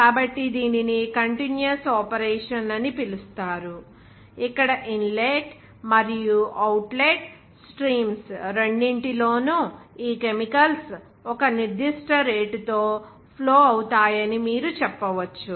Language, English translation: Telugu, So, this is called continuous operation, where you can say in both the inlet and outlet streams, these chemicals will be flowing at a certain rate